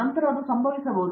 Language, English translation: Kannada, Then probably it can be happened